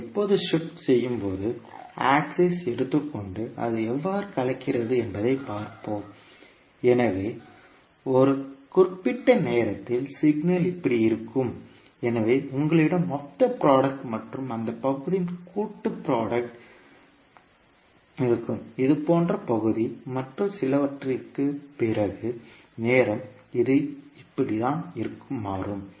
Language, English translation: Tamil, So when you shift, let us take the axis and see how it is getting mixed, so at one particular time the signal would be like this so you will have total product and the sum of those product which is the area like this and then after some time this will become like this, right